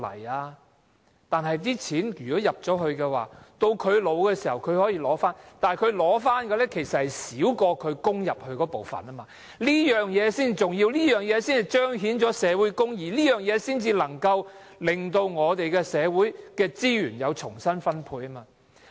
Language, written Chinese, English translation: Cantonese, 他們作出了供款，年老的時候可以取回，但是，他們取回的，其實少過之前的供款，這才是重要，這才彰顯社會公義，才能夠令社會資源可以重新分配。, But the sums they can retrieve are actually smaller than the contributions they already made . This is rather important . This is the only way to manifest social justice and redistribute social resources